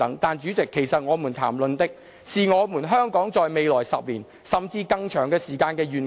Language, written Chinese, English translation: Cantonese, 但主席，其實我們談論的，是香港在未來10年，甚至更長時間的一個願景。, President the focal point of our discussion should rather be Hong Kongs vision in the coming 10 years or beyond